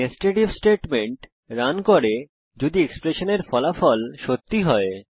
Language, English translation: Bengali, Netsed if statement is run, only if the result of the expression is true